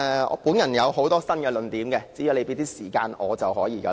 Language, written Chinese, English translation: Cantonese, 我有很多新論點，只要你給予時間便可。, I can advance many new arguments so long as you can give me time to do so